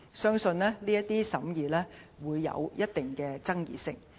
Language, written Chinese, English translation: Cantonese, 相信這些審議會有一定的爭議性。, The scrutiny work would conceivably be controversial